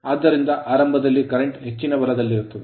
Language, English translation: Kannada, So, at start current will be higher right